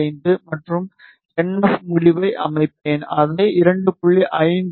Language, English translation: Tamil, 45 and NF end, I will set it 2